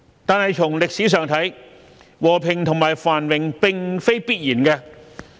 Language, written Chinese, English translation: Cantonese, 但從歷史上看，和平和繁榮並非必然。, From a historical perspective however peace and prosperity cannot be taken for granted